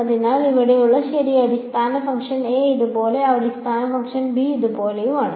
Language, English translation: Malayalam, So, this is where right so basis function a is like this, basis function b is like this